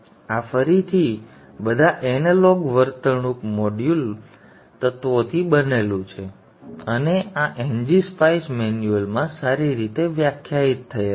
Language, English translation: Gujarati, This is again composed of all analog behavioral modeling elements and these are well defined in NG Spice manual